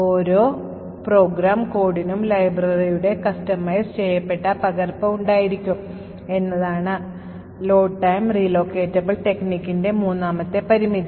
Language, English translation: Malayalam, Third limitation of the load time relocatable code is that each program code, should have its own customized copy of the library